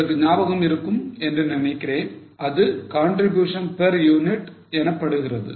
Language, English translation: Tamil, I hope you remember that is called as a contribution per unit